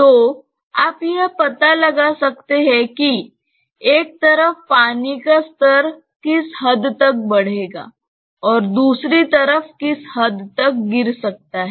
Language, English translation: Hindi, So, you can find out that what is the extent to which the water level will rise on one side and maybe fall on the other side